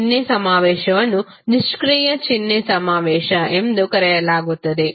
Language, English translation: Kannada, Sign convention is considered as passive sign convention